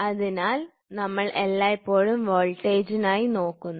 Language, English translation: Malayalam, So, we always look for voltage